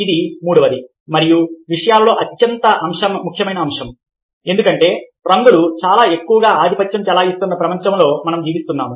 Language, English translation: Telugu, this is the third and the most significant aspect of things, because we live in a word where colours are becoming very, very dominant